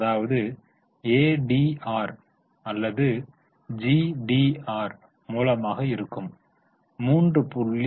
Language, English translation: Tamil, That is why ADR or GDR is 3